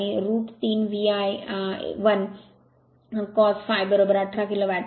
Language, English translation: Marathi, And root 3 V I 1 cos phi is equal to 18 kilo watt